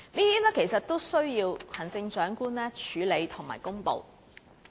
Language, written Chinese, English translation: Cantonese, 這些均須行政長官處理和公布。, This has got to be addressed and disclosed by the Chief Executive